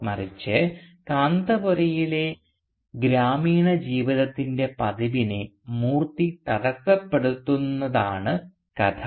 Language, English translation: Malayalam, Rather the story is of Moorthy disrupting the regular pattern of the village life in Kanthapura